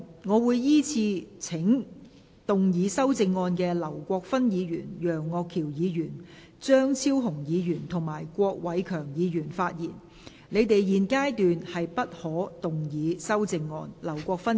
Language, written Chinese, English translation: Cantonese, 我會依次請要動議修正案的劉國勳議員、楊岳橋議員、張超雄議員及郭偉强議員發言；但他們在現階段不可動議修正案。, I will call upon Members who move the amendments to speak in the following order Mr LAU Kwok - fan Mr Alvin YEUNG Dr Fernando CHEUNG and Mr KWOK Wai - keung; but they may not move amendments at this stage